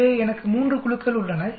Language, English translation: Tamil, So I have 3 groups